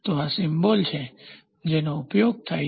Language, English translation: Gujarati, So, this is the symbol which is used